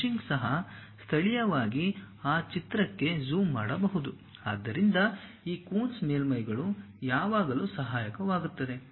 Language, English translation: Kannada, Even meshing, may be locally zooming into that picture, this Coons surfaces always be helpful